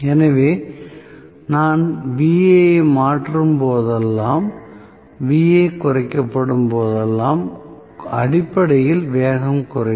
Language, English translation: Tamil, So, whenever I change Va, whenever Va is reduced, I am going to have essentially speed decreases